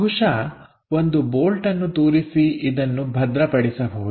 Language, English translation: Kannada, So, perhaps one bolt can be inserted and tightened